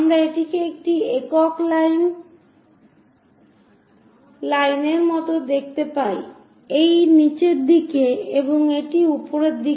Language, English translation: Bengali, So, we see it like one single line there; this bottom one, this one and this top one